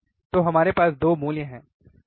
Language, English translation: Hindi, So, we have 2 values, right